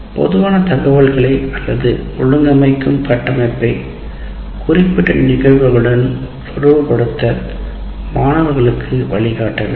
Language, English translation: Tamil, So, learners should be guided to relate general information or an organizing structure to specific instances